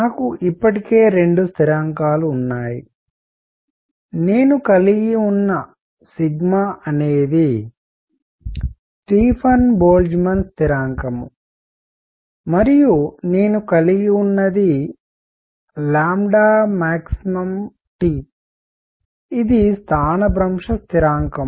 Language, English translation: Telugu, I already have two constants, I have sigma which is the Stefan Boltzmann constant, and I have lambda max T which is displacement constant